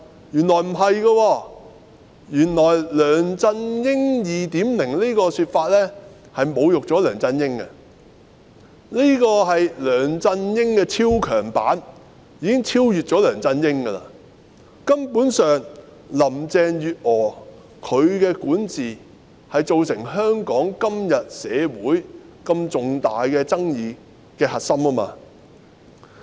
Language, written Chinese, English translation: Cantonese, 原來不是，"梁振英 2.0" 的說法原來侮辱了梁振英，因為這是梁振英的超強版，已經超越了梁振英，林鄭月娥的管治根本上是造成香港社會今天如此重大爭議的核心。, But no it turns out that the description of LEUNG Chun - ying 2.0 is an insult to LEUNG Chun - ying for she is the mega transformed version of LEUNG Chun - ying and she has already surpassed LEUNG Chun - ying . Carrie LAMs governance is actually the core cause triggering such major controversies in Hong Kong society today